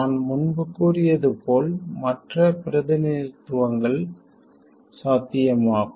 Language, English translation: Tamil, Like I said earlier, other representations are possible